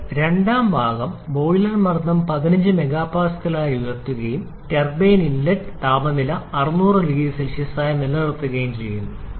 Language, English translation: Malayalam, Now last second part the boiler pressure is raised to 15 mega Pascal and turbine inlet temperature is maintained at 600 degree Celsius